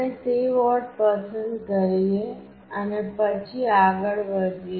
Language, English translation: Gujarati, We select that board and then we move on